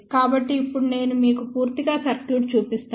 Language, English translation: Telugu, So, now let me show you the complete circuit